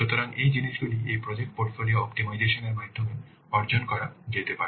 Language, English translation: Bengali, So these things can be achieved by this project portfolio optimization